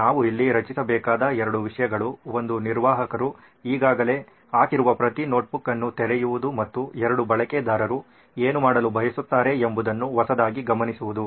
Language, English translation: Kannada, Two things we’ll have to create here, one is the opening each notebook what the admin has already put up into this and two is the new notetaking what a user would want to do